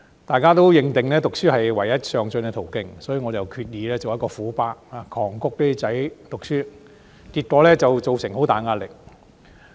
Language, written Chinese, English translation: Cantonese, 大家都認定讀書是唯一上進的途徑，所以我決意做一個"虎爸"，狂谷兒子讀書，結果造成很大壓力。, We all firmly believed that study was the only way to move upward and hence I decided to be a Tiger Dad pushing my sons to study thus placing heavy pressure on them